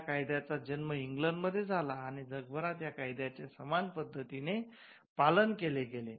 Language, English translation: Marathi, So, the law originated in England and it was followed around the world similar versions of the law